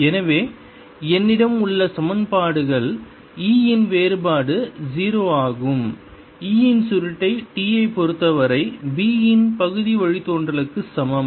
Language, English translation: Tamil, so the equations i have is: divergence of e is zero, curl of e is equal to partial derivative of b with respect to t, partial derivative of b since there is no real current